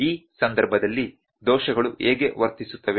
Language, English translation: Kannada, How would the errors behave in this case